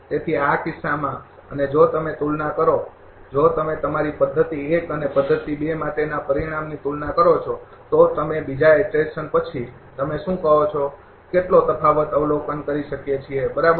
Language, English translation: Gujarati, So, in this case and if you compare if you compare the they result for your P method 1 and method 2, that just what difference we can observe after your what you call after second iteration, right